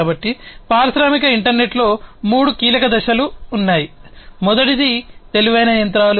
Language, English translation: Telugu, So, the industrial internet has three key elements, the first one is that intelligent machines